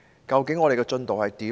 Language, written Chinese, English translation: Cantonese, 究竟我們的進度如何？, How is our progress exactly?